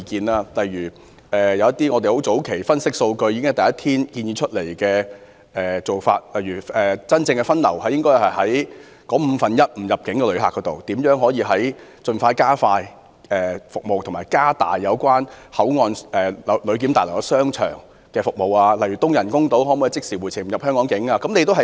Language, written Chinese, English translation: Cantonese, 例如，我們早前分析數據後，在第一天便建議應對該五分之一的非入境旅客實施分流、盡量加快及加強香港口岸旅檢大樓商場的服務，以及開通東人工島讓旅客即時回程，無需進入香港境內。, For instance after analysing some figures we already proposed on day one to divert those non - entry visitors to Hong Kong who accounted for one fifth of all visitors to expedite and enhance service provision as much as possible at the shopping centre of BCFs passenger clearance building and to open up the eastern artificial island to enable the immediate return of visitors and spare them the need to enter Hong Kongs territory